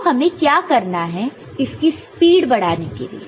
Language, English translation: Hindi, So, how we can what can do to speed it up